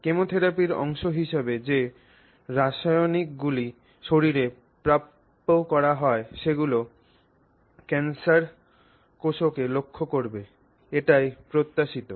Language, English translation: Bengali, So, the chemicals that are pumped into the body as part of chemotherapy are expected to target the cancer cells